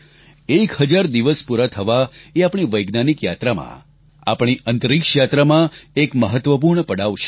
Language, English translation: Gujarati, The completion of one thousand days, is an important milestone in our scientific journey, our space odyssey